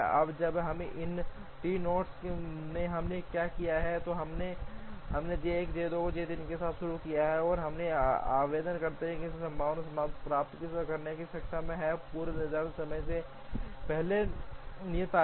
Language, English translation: Hindi, Now, when in these 3 nodes what we have done is we have started with J 1 J 2 and J 3, and we are able to get feasible solutions by applying the preemptive earliest due date rule